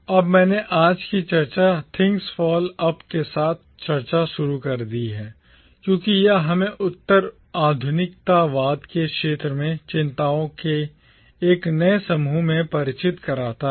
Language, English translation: Hindi, Now the reason I started today’s discussion with Things Fall Apart is because it introduces us to a new set of concerns within the field of postcolonialism